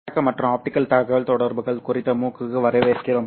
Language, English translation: Tamil, Hello and welcome to the MOOC on optical communications